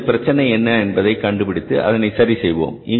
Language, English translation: Tamil, So let's first understand this problem and then we will solve it